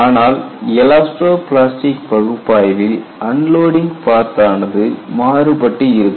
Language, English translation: Tamil, What makes elasto plastic analysis difficult is that when you unload, the unloading path is different